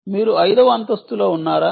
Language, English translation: Telugu, are you in the fifth floor, sixth floor